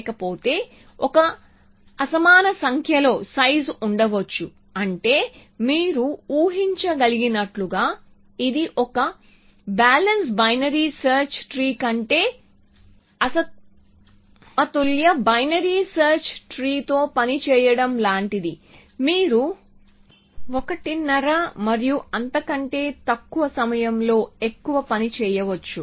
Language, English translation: Telugu, Otherwise, there may be a unequal number of size which means a as you can imagine it is like working with a unbalanced binary rather than a balance binary you may do more work in 1 half and less